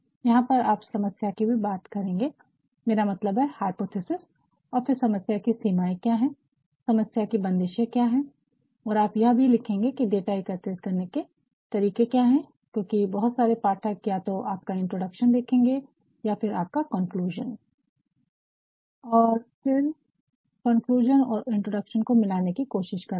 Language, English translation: Hindi, Here you will also be talking about the problem I mean the hypothesis, and then the scope of the problem, and then limitations you will also be talking about what are the ways of the data collection, because most of the readerswill either see your introduction or will also see your conclusion